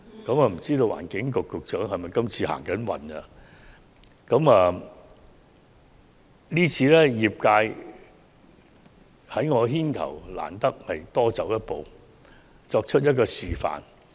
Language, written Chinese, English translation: Cantonese, 不知環境局局長是否走運，今次業界在我牽頭之下，難得多走一步，作出一個示範。, The Secretary for the Environment must be lucky this time because under my coordination members of the sector are willing to take one step forward to set an example